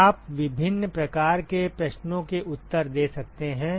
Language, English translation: Hindi, You can answer different kinds of questions